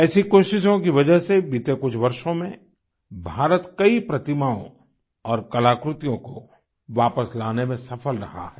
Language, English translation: Hindi, Because of such efforts, India has been successful in bringing back lots of such idols and artifacts in the past few years